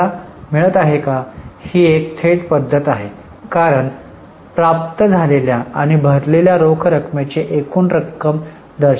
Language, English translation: Marathi, This is a direct method because the total amount of cash received and paid is shown